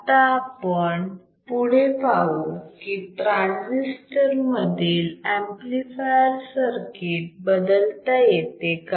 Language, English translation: Marathi, Now, let us see let us see further if the amplifier circuit is in transistor is replaced